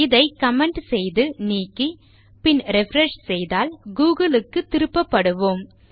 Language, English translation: Tamil, If I get rid of this by commenting it, and I were to refresh then we would be redirected to google